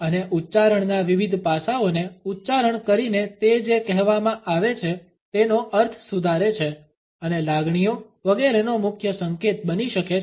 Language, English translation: Gujarati, And by accenting different aspects of an utterance it modifies the meaning of what is said and can be a major indication of feelings etcetera